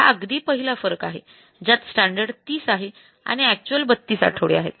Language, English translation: Marathi, So, this is a first difference against the standard of 30 actual time is 32 weeks